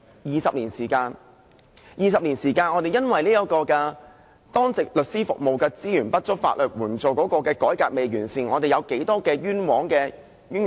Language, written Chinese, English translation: Cantonese, 20年來我們因為當值律師服務資源不足，法援改革未完善，造成多少枉冤個案或冤獄呢？, How many cases of unjust conviction or imprisonment have resulted during these 20 years due to inadequate resources for duty lawyer services and incomprehensive legal aid reform?